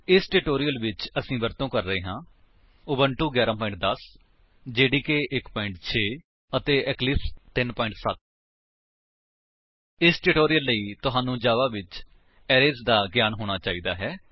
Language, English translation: Punjabi, For this tutorial, we are using Ubuntu 11.10, JDK 1.6 and Eclipse 3.7.0 For this tutorial, you should have knowledge of arrays in Java